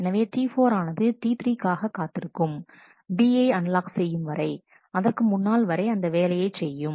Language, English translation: Tamil, So, T 4 has to wait for T 3 to unlock B before it can actually do that operation